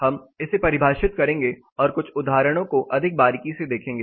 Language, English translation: Hindi, We will define and look at some examples more closely